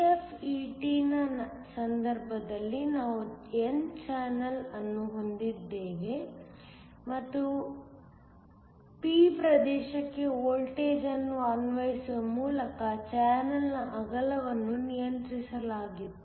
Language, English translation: Kannada, In the case of a JFET, we already had an n channel and the width of the channel was controlled by applying the voltage to the p region